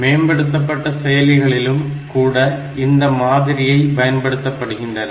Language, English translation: Tamil, So, even advanced processors, they will follow this particular model